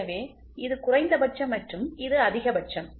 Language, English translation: Tamil, So, this is minimum and this is maximum